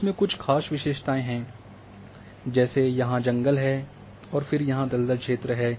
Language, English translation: Hindi, And there certain features which is present like forest is here and then swamp area is there